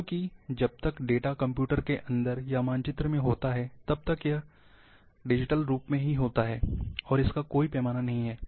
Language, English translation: Hindi, Because as long has the data is inside a computer, or in a map, it in digital form, it is in the computer, it doesn’t have any scale